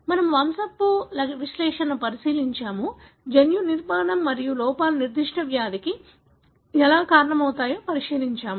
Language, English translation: Telugu, So, we have looked into the pedigree analysis, we have looked into the gene structure and how defects cause particular disease